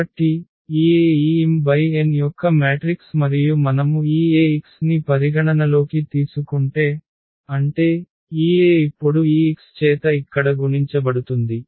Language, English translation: Telugu, So, this A is a matrix of order this m cross n and if we consider this Ax; that means, this A will be multiplied now by this x here